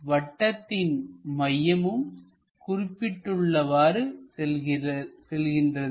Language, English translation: Tamil, The center of that circle goes there